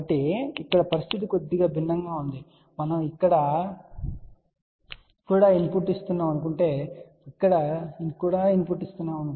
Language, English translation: Telugu, So, here the situation is slightly different , we are giving a input here also and we are giving input here also